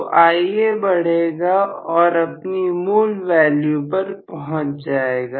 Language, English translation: Hindi, So, Ia increases and reaches its original value